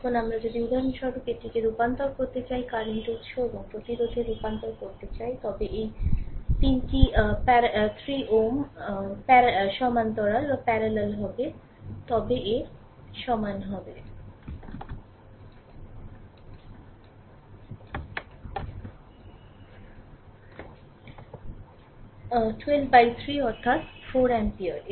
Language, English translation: Bengali, Now, if we if we want to convert it to the your suppose for example, this portion, this portion, if you want to convert it into the your current source and the resistance, this 3 ohm will be parallel then to a i is equal to 12 by 3 that is equal to 4 ampere right